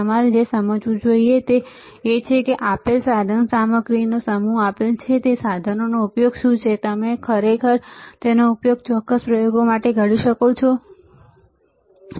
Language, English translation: Gujarati, What you should understand is, that given a given a set of equipment what is a use of those equipment, and can you use it for particular experiments, right